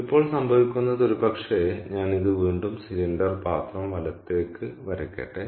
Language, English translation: Malayalam, now what happens is maybe let me draw this again the cylindrical vessel, right